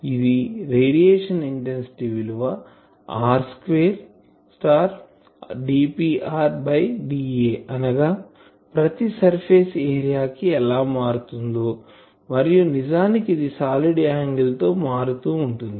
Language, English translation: Telugu, This is the radiation intensity is r square into d P r ,d A that means per surface area how that is varying and this is actually the variation along the solid angle